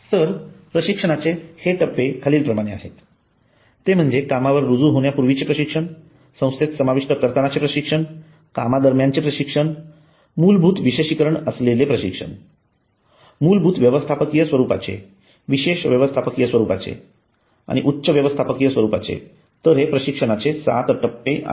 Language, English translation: Marathi, so these stages of training are pre job induction on the job basic specialized basic management specialized management and top management so these are the seven stages of training